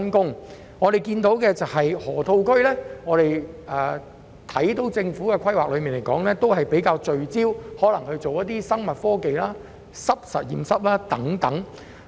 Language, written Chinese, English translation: Cantonese, 據我們所知，河套區方面，政府的規劃較聚焦於發展生物科技和濕實驗室等。, As far as we understand it the Government has planned to develop the Loop by focusing more on the development of the biotechnology industry wet laboratories etc